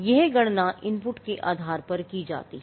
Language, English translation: Hindi, Now, this is computed based on the input